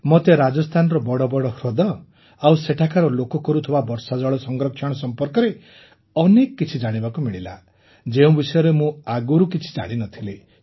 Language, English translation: Odia, I got to learn many new things about the big lakes of Rajasthan and the people there, and rain water harvesting as well, which I did not know at all, so this Rajasthan visit was very good for me